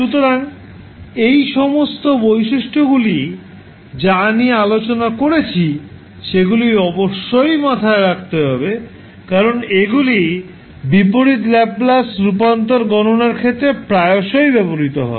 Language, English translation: Bengali, So, all those, the properties which we have discussed, you have to keep in mind because these will be used frequently in the, calculation of inverse Laplace transform